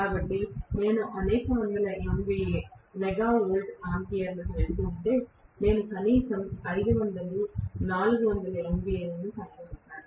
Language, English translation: Telugu, So, if I am going to several hundreds of MVA – Mega Volt Ampere, maybe I am going to have 500 400 MVA minimum